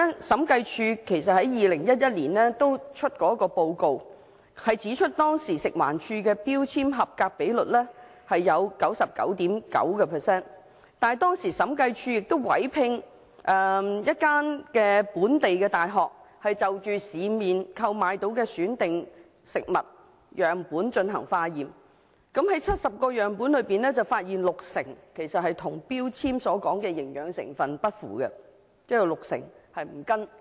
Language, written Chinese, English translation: Cantonese, 審計署在2011年發出的報告中指出，食環署當時聲稱食物標籤的合格率是 99.9%， 但審計署曾委聘一所本地大學就市面能購買得到的選定食物樣本進行化驗，結果在70個樣本中，發現有六成樣本的營養成分與標籤所列不符。, The Audit Commission pointed out in a report published in 2011 that as alleged by FEHD the compliance rate of food labels was 99.9 % . Yet a local university was commissioned by the Audit Commission to provide laboratory services for testing selected food samples purchased from the market and it was found that of the 70 samples tested 60 % were suspected to be non - compliant